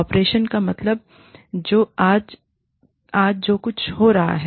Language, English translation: Hindi, Operational means, something that is happening, today